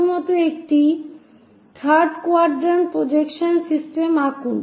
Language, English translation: Bengali, first of all draw a 3 dimensional quadrant system